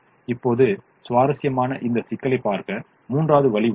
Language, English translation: Tamil, now interestingly there is a third way to also look at this problem